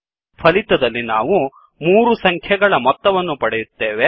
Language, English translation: Kannada, So this method will give sum of three numbers